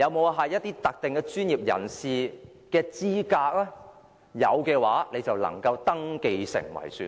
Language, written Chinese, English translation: Cantonese, 有否某些特定專業人士的資格？如有的話，便能登記成為選民。, The holding of such qualifications would qualify one for voter registration